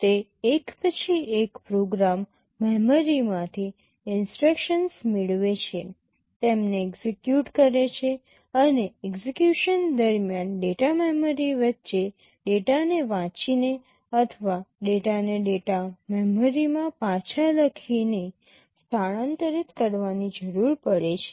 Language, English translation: Gujarati, It fetches instructions from the program memory one by one, executes them, and during execution it may require to transfer some data between the data memory, either reading a data or writing the data back into the data memory